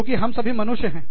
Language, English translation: Hindi, Because, we are all humans